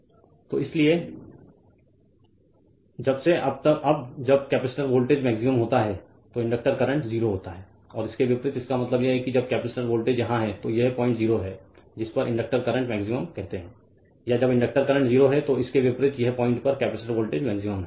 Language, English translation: Hindi, So, therefore, since when the now when the capacitor voltage is maximum the inductor current is 0 and vice versa when; that means, when capacitor voltage here it is this point 0 in this your what you call this inductor current is maximum or when inductor current is 0 this point capacitor voltage is maximum vice versa